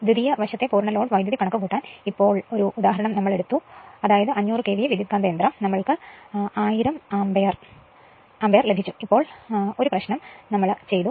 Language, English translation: Malayalam, Just now we took 1 example to compute the full load current on the secondary side that is 500 KVA transformer we got 1000 ampere just now we did we do 1 problem